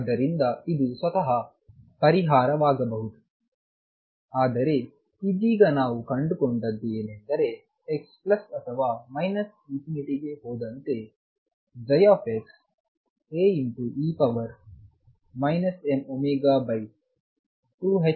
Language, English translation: Kannada, So, could this be the solution by itself, but right now what we have found is that psi x as x tends to plus or minus infinity goes as A e raised to minus m omega over 2 h cross x square